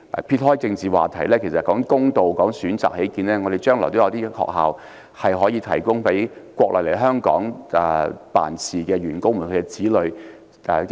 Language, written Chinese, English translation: Cantonese, 撇開政治話題，以公道和提供更多選擇起見，本港將來是否應該設有學校，提供予國內來港工作員工的子女就讀？, Political issues aside for the sake of fairness and providing more options should schools be set up in Hong Kong for the children of Mainland employees coming to work here?